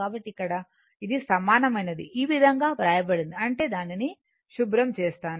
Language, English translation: Telugu, So, that is here this one is equal to is written as this one right; that means, ah let me clear it